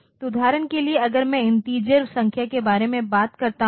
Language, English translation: Hindi, So, this, for example, if I talk about integer numbers say